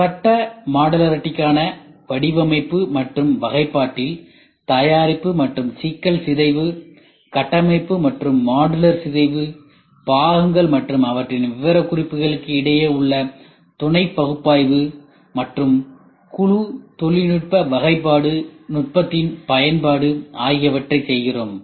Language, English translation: Tamil, In phase I design for modularity and classification we do product and problem decomposition structural and modular decomposition associative analysis between the component and the specifications application of group technology classification technique